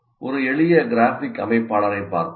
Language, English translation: Tamil, Now, let us look at some simple graphic organizer